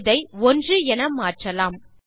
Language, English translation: Tamil, Lets change this to 1